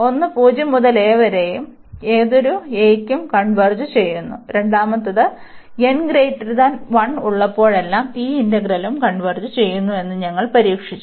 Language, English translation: Malayalam, One was 0 to a which converges for any arbitrary a, and the second one we have just tested that this integral will also converge, whenever we have this n greater than equal to 1